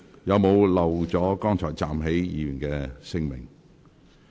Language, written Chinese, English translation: Cantonese, 有沒有遺漏剛才站立的議員的姓名？, Did I miss any name of those Members who just stood up?